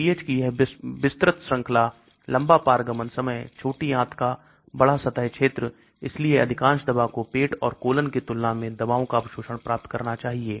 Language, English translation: Hindi, This wide range of pH, long transit time, high surface area of small intestine, so most of the drug should get higher absorption of drugs than in the stomach and colon